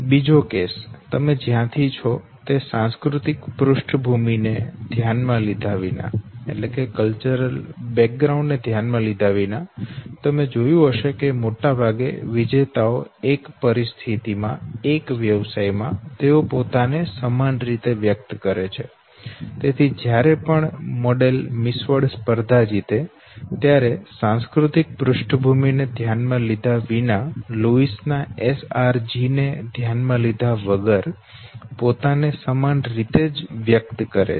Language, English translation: Gujarati, Second case, irrespective of the cultural back ground from where you are okay, might be that you have seen that largely the winners okay, in one situation, in one profession they express themselves the same way, so every time when you win Miss World competition okay, irrespective of the cultural back ground, irrespective of the difference in the SRG that name was talking about, we express ourselves the same way okay